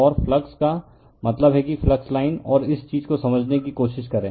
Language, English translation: Hindi, And flux means just try to understand that your flux line and this thing right